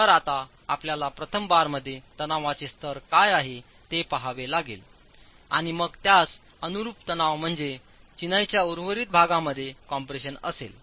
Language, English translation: Marathi, So, now you will have to look at what is the level of tension in the first bar and then corresponding to that would be the tension, it would be the compression in the remaining portion of the masonry